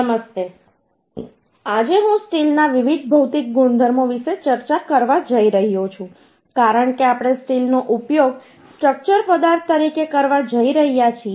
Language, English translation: Gujarati, Hello, today I am going to discuss the different material properties of the uhh steel uhh because we are going to use the steel as a structural material